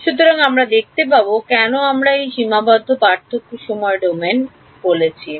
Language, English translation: Bengali, So, we will see why we called that finite difference time domain